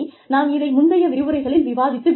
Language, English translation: Tamil, We have discussed this, in a previous lecture